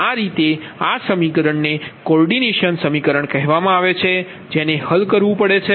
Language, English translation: Gujarati, so this is actually how these and this equation is called coordination equation one has to solve, right